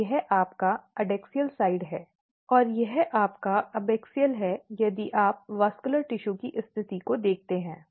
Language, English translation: Hindi, So, this is your adaxial side this is your abaxial side and if you look the positioning of the vascular tissue